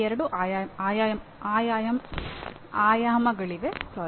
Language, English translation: Kannada, There are two dimensions to this